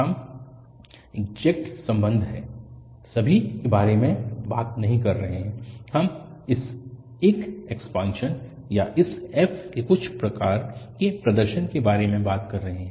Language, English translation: Hindi, We are not talking about exact relation and all, we are talking about that this is an expansion or some kind of representation of this f